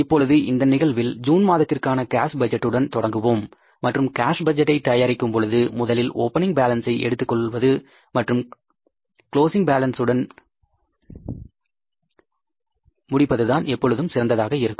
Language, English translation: Tamil, Now in this case we'll have to start with the cash budget for the month of June and we are going to start with the first thing is always when you start preparing the cash budget you start with the opening balance and you end up with the closing balance of the cash